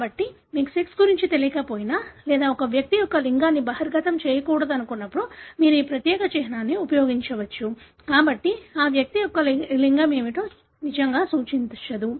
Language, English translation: Telugu, So, when you do not know about the sex or when you don’t want to reveal the sex of an individual you can use this particular symbol; so that really doesn’t denote as to what is the sex of that individual